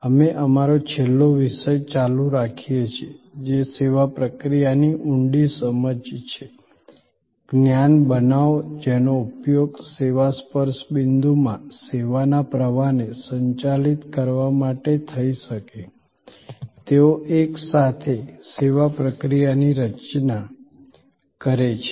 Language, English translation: Gujarati, We are continuing our last topic, which is deeper understanding of the service process; create knowledge that can be used to manage the service flow in the service touch points, together they constitute the service process